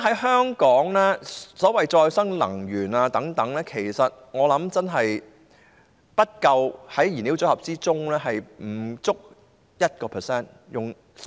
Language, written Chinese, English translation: Cantonese, 香港現時的所謂可再生能源，我相信在燃料組合中真的不夠 1%。, I believe that at present the so - called renewable energy sources actually account for less than 1 % of the fuel mix in Hong Kong